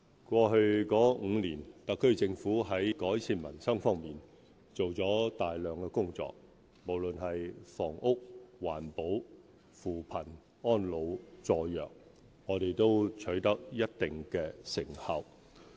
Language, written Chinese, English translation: Cantonese, 過去5年，特區政府在改善民生方面做了大量工作，無論是房屋、環保、扶貧、安老、助弱，我們都取得一定成效。, In the past five years the Special Administrative Region SAR Government has done a lot of work in improving peoples livelihood and we have made certain achievements in housing environmental protection poverty alleviation elderly care and support for the disadvantaged